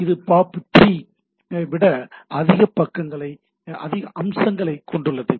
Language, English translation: Tamil, So, it has more features than POP3